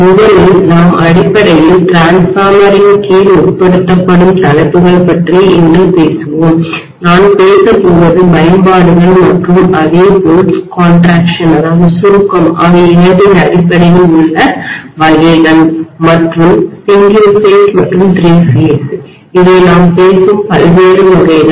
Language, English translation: Tamil, So the topic that we are going to cover under transformer basically are, let me talk about today first, I will be talking about types based on both applications as well as contraction and single phase and three phase these are the various types we will be talking about